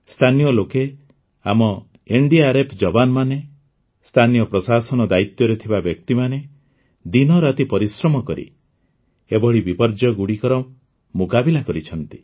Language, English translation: Odia, The local people, our NDRF jawans, those from the local administration have worked day and night to combat such calamities